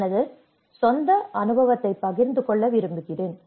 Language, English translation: Tamil, I would like to share my own experience